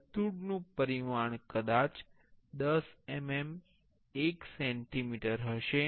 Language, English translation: Gujarati, The circle dimension maybe a 10 mm, 1 centimeter